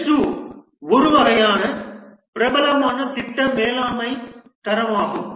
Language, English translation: Tamil, Prince 2 is a popular project management standard